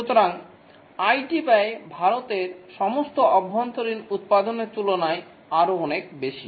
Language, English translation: Bengali, So, the IT spending is even much more than all the domestic production of India is a huge